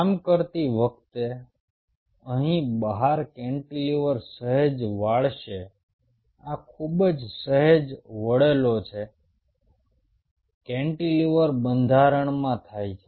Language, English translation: Gujarati, while doing so, the cantilever out here will bend slightly, like this very slight bending which happens in the cantilever structure